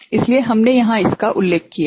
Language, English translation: Hindi, So, that is what we have mentioned here